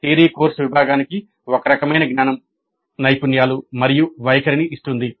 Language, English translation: Telugu, The theory course gives certain kind of knowledge, skills and attitudes to the student